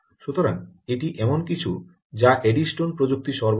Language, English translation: Bengali, ok, so that is something that eddystone technology provides